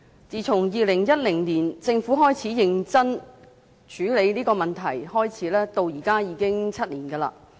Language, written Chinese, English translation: Cantonese, 自從2010年政府開始認真處理這個問題，到現在已經7年。, It has been seven years since the Government began to seriously deal with the problem in 2010